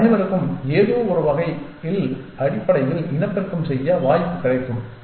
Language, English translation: Tamil, And they will all have a chance to reproduce in some sense essentially